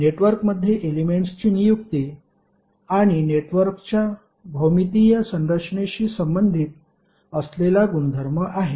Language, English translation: Marathi, The property is which is relating to the placement of elements in the network and the geometric configuration of the network